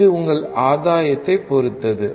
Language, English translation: Tamil, This depends on your gain